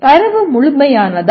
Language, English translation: Tamil, Is the data complete